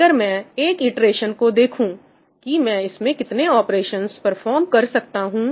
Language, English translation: Hindi, If I look at one iteration, how many operations am I performing